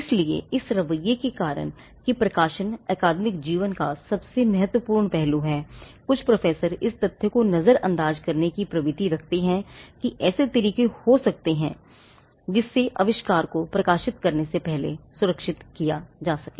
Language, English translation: Hindi, So, because of this attitude that publication is the most important aspect of academic life; there is a tenancy that some professors may overlook the fact that they could be ways in which the invention can be protected before it gets published